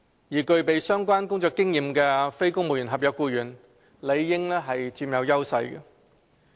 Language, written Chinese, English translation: Cantonese, 而具備相關工作經驗的非公務員合約僱員，理應佔有優勢。, Moreover NCSC staff with relevant work experience ought to enjoy an edge